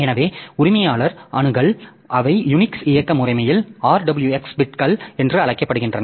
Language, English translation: Tamil, So, owner access so they are called RWX bits in Unix operating system